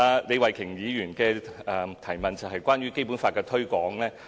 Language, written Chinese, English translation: Cantonese, 李慧琼議員的補充質詢是有關《基本法》的推廣。, Ms Starry LEEs supplementary question is about the promotion of BL